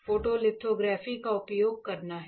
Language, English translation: Hindi, Using photolithography alright